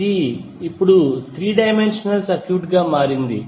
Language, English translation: Telugu, It is now become a 3 dimensional circuit